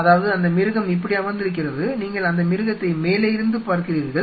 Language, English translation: Tamil, So, what does that mean; that means, that animal is you know sitting like this, and you are seeing the animal from the top